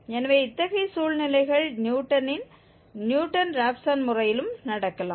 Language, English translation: Tamil, So, such situations can also happen in this Newton's, Newton Raphson method